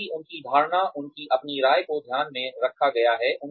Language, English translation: Hindi, Because, their perception, their own opinions, have been taken into account